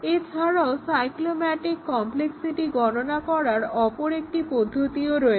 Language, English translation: Bengali, Now, let us look at interesting application of the cyclomatic complexity